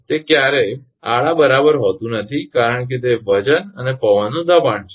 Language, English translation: Gujarati, It is not never be horizontal right because of it is weights and wind's pressure